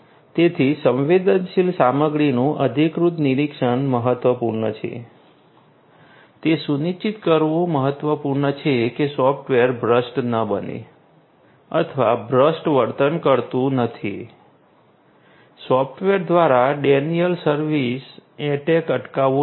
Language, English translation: Gujarati, So, this authorized monitoring of sensitive content is important, it is important to ensure that the software does not become corrupt or does not behave corrupt, denial of service attacks should be prevented by the software so, software security is very important